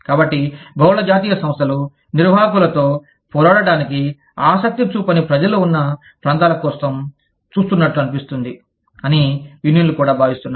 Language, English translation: Telugu, So, unions also feel that, multi national enterprises seem to look for places, where people do not, or, not very keen on, fighting the management